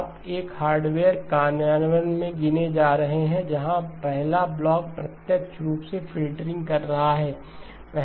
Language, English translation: Hindi, You are counting in a hardware implementation, where the first block is doing the direct form filtering